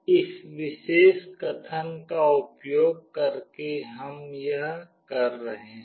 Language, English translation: Hindi, This is what we are doing using this particular statement